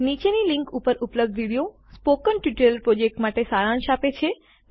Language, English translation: Gujarati, The video available at the following link summarises the Spoken Tutorial project